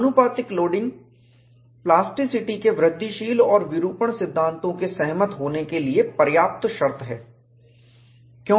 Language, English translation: Hindi, Proportional loading is a sufficient condition for the incremental and deformation theories of plasticity to agree